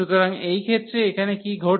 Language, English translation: Bengali, So, in this case what is happening here the m and n